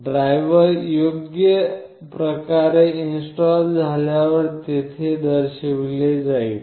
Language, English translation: Marathi, Once the diver is correctly installed this will be shown there